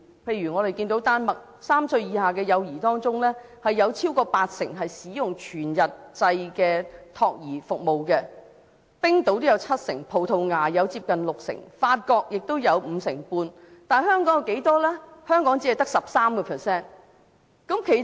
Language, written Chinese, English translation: Cantonese, 例如在丹麥 ，3 歲以下的幼兒當中有超過八成使用全日制的託兒服務、冰島也有七成、葡萄牙有接近六成、法國有五成半，但香港只有 13%。, For example in Denmark over 80 % of the children under three years of age use full - time child care services compared to 70 % in Iceland close to 60 % in Portugal and 55 % in France . But the percentage is only 13 % in Hong Kong